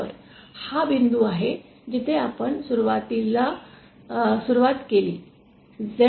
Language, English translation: Marathi, So, this is the point where we started initially, z